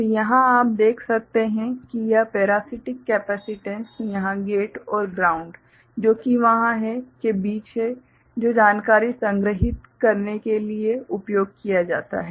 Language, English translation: Hindi, So, here what you can see that this is the parasitic capacitance between the gate over here at the ground that is there which is used for storing the information